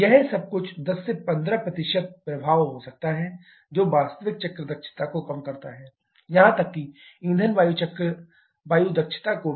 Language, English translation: Hindi, All this can have some 10 15 % influence which reduces actual cycle efficiency, even further to the fuel air efficiency